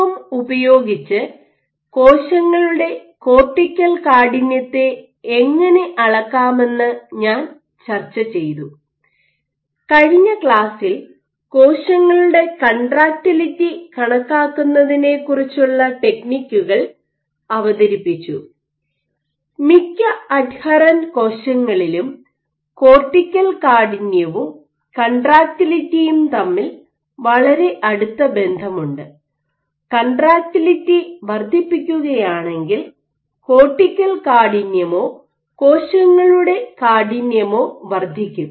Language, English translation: Malayalam, So, while using the AFM I discussed how you can measure cortical stiffness of cells, and in the last class I introduced the techniques decided how you can go about quantifying contractility of cells and there is for most adherent cell types there is a very close relationship between the two, in that if you increase contractility your cortical stiffness or stiffness of cells is going to increase